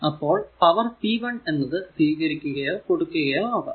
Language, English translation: Malayalam, So, and power we have to find out p 1 is the power supplied or absorbed